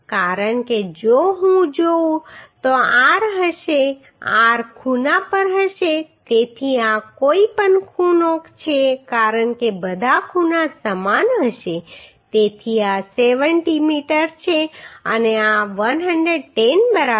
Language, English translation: Gujarati, Because if I see r will be r will be at the corner so this is any corner because all corners will be same so this is 70 and this is 110 right